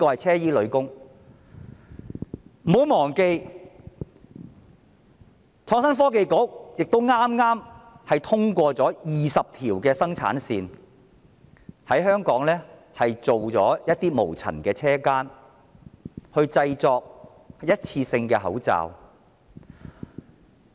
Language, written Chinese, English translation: Cantonese, 此外，不要忘記，創科局剛批出20條生產線，在香港設立一些無塵車間生產一次性口罩。, Besides do not forget that the Innovation and Technology Bureau has approved 20 production lines to set up some clean rooms in Hong Kong for producing one - off face masks